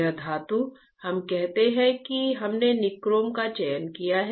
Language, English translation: Hindi, This metal is let us say we have selected nichrome right, we have selected nichrome